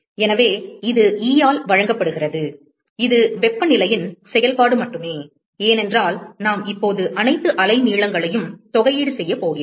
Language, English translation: Tamil, So, that is given by E, which is only a function of temperature, because we are going to now, integrate over all wavelengths